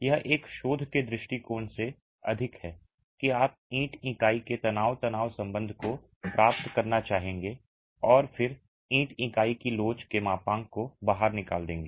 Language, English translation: Hindi, It is more from a research perspective that you would want to get the stress strain relationship of the brick unit and then pull out the modulus of elasticity of the brick unit